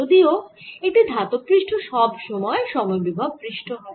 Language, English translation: Bengali, however, a metallic surface, his is always constant potential surface